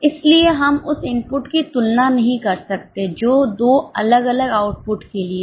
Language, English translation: Hindi, So, we cannot compare input which is for two different outputs